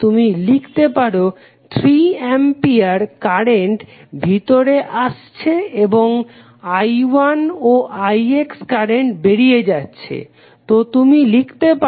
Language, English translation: Bengali, That you can simply write it the 3 ampere current is going in and i 1 and i X are going out, so you will write as i 1 plus i X